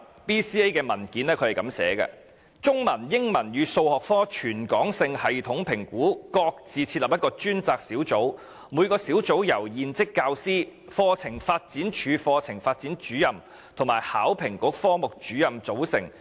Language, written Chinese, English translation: Cantonese, BCA 的文件指出，"中文、英文與數學科全港性系統評估各自設立一個專責小組，每個小組由現職教師、課程發展處課程發展主任與香港考試及評核局科目主任組成。, According to a document on BCA For each of the three subjects one working group consisting of serving teachers staff from the Hong Kong Examination Assessment Authority and the CDI was established